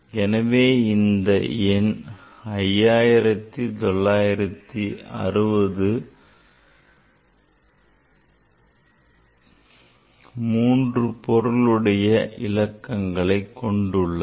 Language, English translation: Tamil, So, this number 5960, this number has only three significant figures